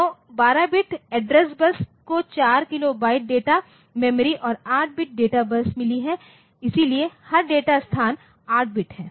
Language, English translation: Hindi, So, 12 bit address bus so, you have got 4 kilobyte of data memory and 8 bit data bus so, every data location is 8 bit